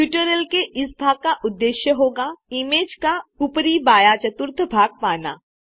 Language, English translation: Hindi, Our goal for this part of the tutorial would be to get the top left quadrant of the image